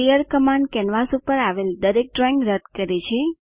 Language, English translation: Gujarati, clear command cleans all drawings from canvas